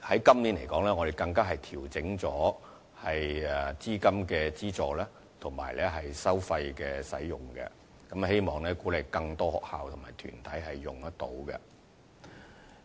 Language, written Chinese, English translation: Cantonese, 今年，我們更調整了資金的資助及使用收費，希望鼓勵更多學校及團體參與。, This year we have even adjusted the levels of capital funding and usage fees in an attempt to encourage participation by more schools and organizations